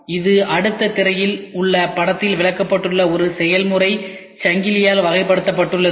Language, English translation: Tamil, It is characterized by a process chain illustrated in the figure which is explained in the next slide